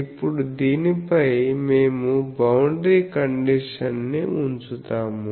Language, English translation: Telugu, Now, on this we will put the boundary condition